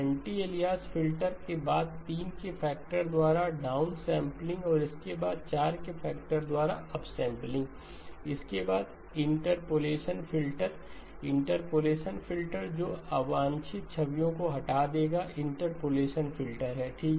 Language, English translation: Hindi, Anti alias filter followed by downsampling by a factor of 3 followed by upsampling by a factor of 4, followed by the interpolation filter, interpolation filter which will remove the unwanted images, interpolation filter okay